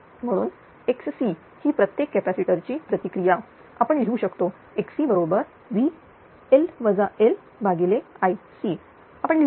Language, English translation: Marathi, Therefore, X c is the reactance of each capacitor we can write X c is equal to you can write V L L upon I C right